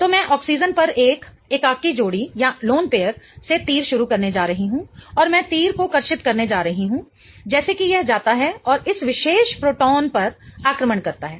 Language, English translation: Hindi, So, I'm going to start the arrow from one of the lone pairs on oxygen and I'm going to draw the arrow such that it goes and attacks this particular proton